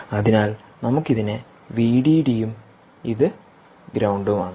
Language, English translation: Malayalam, so lets call this v d d and ground